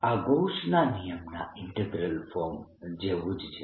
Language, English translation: Gujarati, this is similar to the integral form of gauss's law